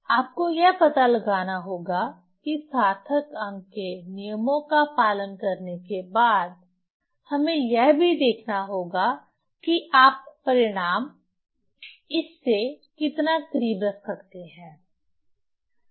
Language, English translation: Hindi, So we have to find out following the significant figure rules also we have to see that how close result we can keep up this your this one